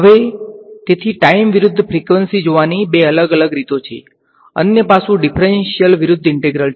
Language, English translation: Gujarati, Now so that is two different ways of looking at time versus frequency; the other aspect is differential versus integral